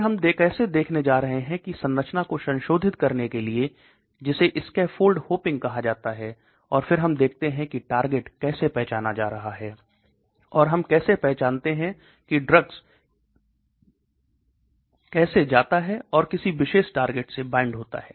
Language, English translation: Hindi, Then we are going to look at how to modify the structure that is called scaffold hopping, and then we look at how targets are being identified, and how do we identify how the drugs goes and binds to a particular target